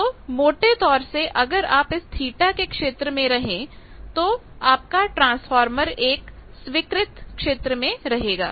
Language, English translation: Hindi, So, roughly if you stay within that theta zone then your transformer is within the acceptable zone